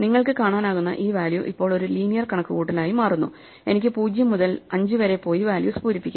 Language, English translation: Malayalam, This value as you can see becomes now a linear computation, I can just walk up from 0 to 5 and fill in the values